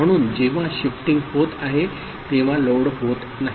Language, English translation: Marathi, So, when shifting is happening not at that time loading is happening